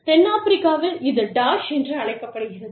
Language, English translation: Tamil, South Africa, it is called Dash